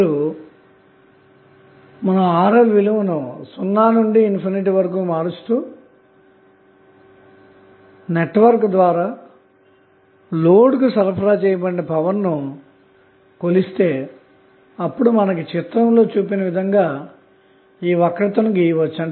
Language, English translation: Telugu, So, now, if you vary the value of Rl from 0 to say infinite and you measure the value of power supplied by the network to the load then you can draw a curve which will look like as shown in this figure